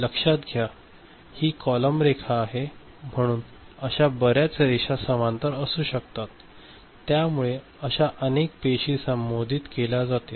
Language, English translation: Marathi, Remember this is column line so many such lines will be in parallel, right many such you know, cells will be addressed